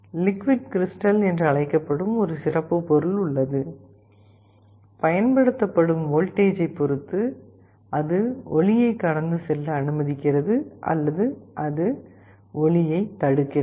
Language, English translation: Tamil, There is a special material that is called liquid crystal; depending on a voltage applied, it either allows light to pass through or it blocks light